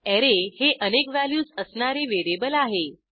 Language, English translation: Marathi, * An Array is a variable with multiple values